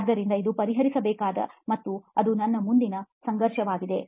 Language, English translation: Kannada, So that’s a conflict to be addressed which is what our next would be